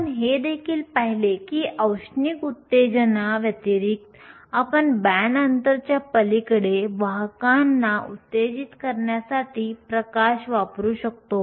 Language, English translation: Marathi, We also saw that apart from thermal excitation, we can also use light in order to excite carriers across the band gap